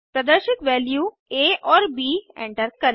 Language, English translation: Hindi, Enter the values of a and b is displayed